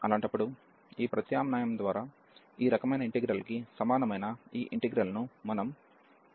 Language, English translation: Telugu, In that case, we will de ligand this integral similar to this type of integral by just this substitution